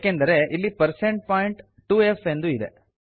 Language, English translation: Kannada, This is because we have % point 2f here